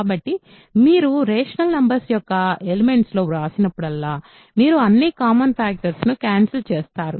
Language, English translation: Telugu, So, whenever you write a in a element of rational numbers, you cancel all common factors